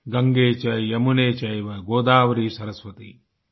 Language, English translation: Hindi, GangeCheYamuneChaive Godavari Saraswati